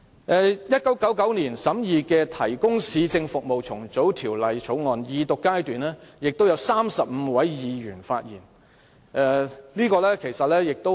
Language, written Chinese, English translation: Cantonese, 在1999年審議的《提供市政服務條例草案》，也有35位議員在二讀辯論時發言。, In the case of the Provision of Municipal Services Bill in 1999 35 Members spoke at the Second Reading debate